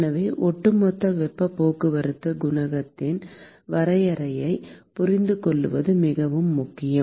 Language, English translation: Tamil, So, it is very important to understand the definition of overall heat transport coefficient